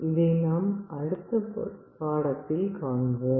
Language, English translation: Tamil, This we shall be discussing in our next lecture